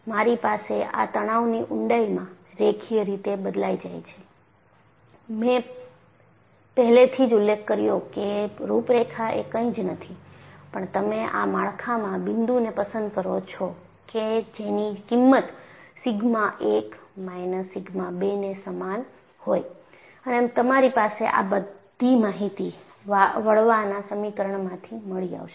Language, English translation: Gujarati, I have this stress varies linearly over the depth and I have already mentioned, a contour is nothing but you pick out points in this structure which has the same value of sigma 1 minus sigma 2, and you have all that information available from your flexure formula